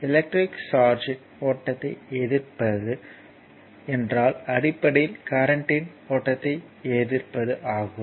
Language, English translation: Tamil, If you resisting the flow of electric charge means it is basically resisting the flow of current, right